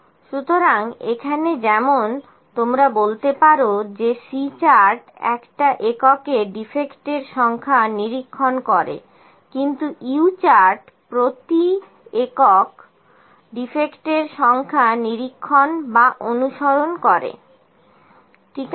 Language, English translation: Bengali, So, here as like you can say that C chart monitors the number defects in one unit, but U chart monitors or track the number defects per unit, u chart monitors number of defects per unit, ok